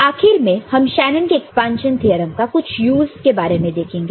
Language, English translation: Hindi, So, finally, we look at some of the use of you know, Shanon’s expansion theorem